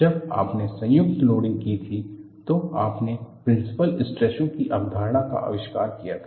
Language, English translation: Hindi, when you had combined loading, you invented the concept of principle stresses